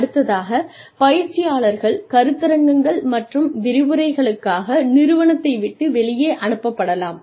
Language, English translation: Tamil, Then, trainees may be sent, outside the organization, for seminars and lectures